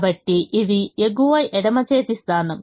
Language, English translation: Telugu, so this is the top left hand position